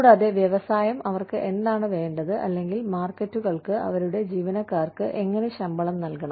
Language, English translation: Malayalam, And, what the industry wants them to, or, how the markets need them, to pay their employees